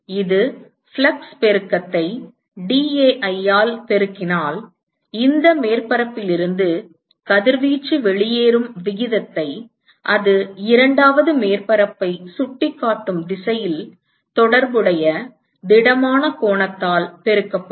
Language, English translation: Tamil, Note that this is flux right multiplied by dAi will give you the rate at which the radiation is leaving from this surface in the direction in which it is pointing to the second surface multiplied by the corresponding solid angle